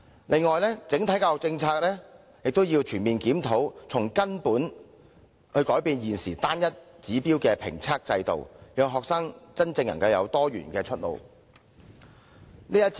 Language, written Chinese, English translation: Cantonese, 此外，也要全面檢討整體教育政策，從根本改變現時單一指標的評測制度，讓學生真正能夠有多元的出路。, Furthermore the Government should also conduct a comprehensive review of the overall education policy to drastically change the single indicator evaluation system thereby genuinely providing multiple pathways for students